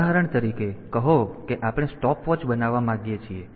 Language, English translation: Gujarati, For example, say we want to we want to make a stopwatch